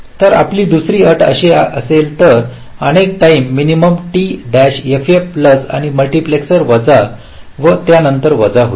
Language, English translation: Marathi, so your second condition will be like this: several time minimum t f f plus by multiplexer, minus t h, t h will get subtracted